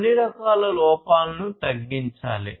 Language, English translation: Telugu, And defects of all kinds should be reduced